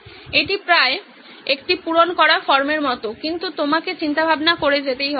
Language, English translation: Bengali, It’s almost like a form filled out but you need to keep doing the thinking